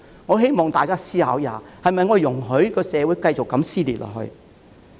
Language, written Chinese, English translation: Cantonese, 我希望大家思考一下：我們是否容許社會繼續如此撕裂下去？, I implore Members to think about this Shall we allow such dissension in society to continue?